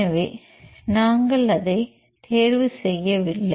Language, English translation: Tamil, So, we do not choose it